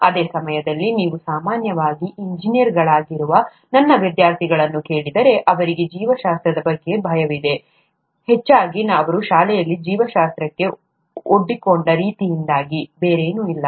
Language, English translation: Kannada, At the same time, if you ask my students, who are typically engineers, they have a fear for biology, mostly because of the way they have been exposed to biology in school, nothing else